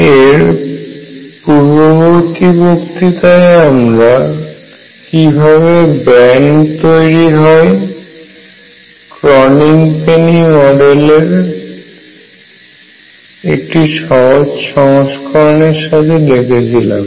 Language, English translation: Bengali, In the previous lecture I showed the raising of bands through a simplified version of Kronig Penny model